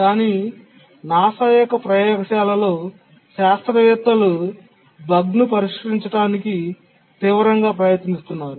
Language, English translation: Telugu, But then in the laboratory in NASA they were desperately trying to fix the bug